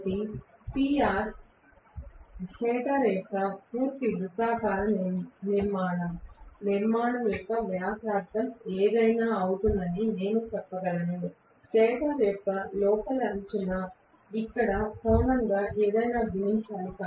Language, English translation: Telugu, So, I can say PR is going to be whatever is the radius of the complete circular structure of the stator, right, the inner rim of the stator multiplied by whatever is the angle here